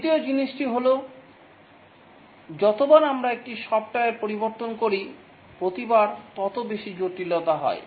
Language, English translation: Bengali, The second thing is that each time we make a change to a software, the greater becomes its complexity